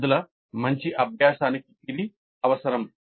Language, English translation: Telugu, That is necessary for good learning by the students